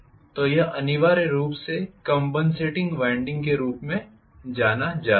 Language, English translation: Hindi, So, this is essentially known as compensating winding